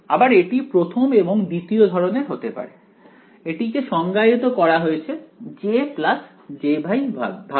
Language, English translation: Bengali, Again of the first kind and of the second kind, this guy is defined as J minus j Y